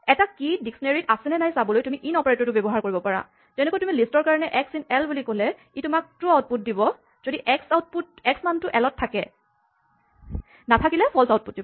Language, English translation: Assamese, So, you can test for a key being in a dictionary by using the in operator, just like list when you say x in l for a list it tells you true if x belongs to l the value x belongs to l, it tells you false otherwise